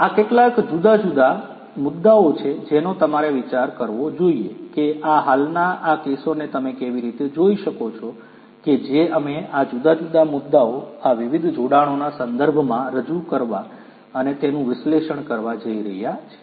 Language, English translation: Gujarati, These are some of the different issues that you should think about how you can look at these existing these cases that we are going to present and analyze in respect of these different issues, these different attributes